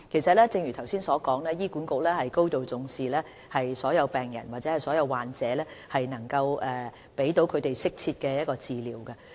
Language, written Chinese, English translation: Cantonese, 正如我剛才所說，醫管局高度重視所有病患者，盡量向他們提供適切的治療。, As I said just now HA attaches great importance to all patients and does its best to provide them with the appropriate treatments